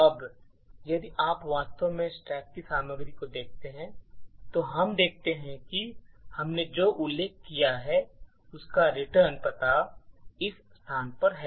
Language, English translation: Hindi, Now if you actually look at the contents of the stack we see that the return address what we just mentioned is at this location